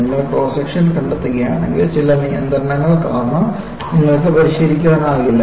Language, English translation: Malayalam, If you find the cross section, you cannot modify because of certain restriction